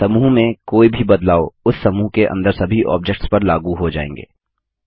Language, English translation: Hindi, Any change made to a group is applied to all the objects within the group